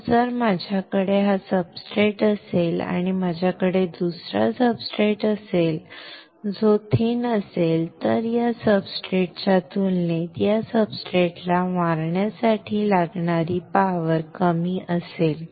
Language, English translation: Marathi, So, if I have this substrate and if I have another substrate which is thin then the power required to hit this substrate compared to this substrate will be less